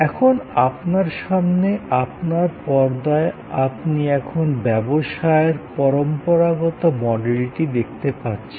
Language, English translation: Bengali, Now, on your screen in front of you, you now see the traditional model of business